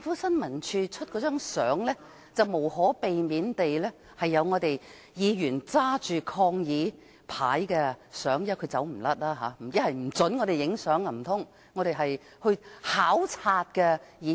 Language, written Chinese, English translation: Cantonese, 新聞處發出的照片，無可避免拍到有議員手執抗議牌的情境，他們無法不准我們拍照，因我們是考察的議員。, The photos released by ISD could not avoid showing Members holding placards in protest . As we were Members making a duty visit they could not prevent us from joining the photo - taking session